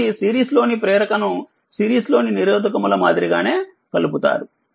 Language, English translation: Telugu, So, inductor in series are combined in exactly the same way as resistors in series right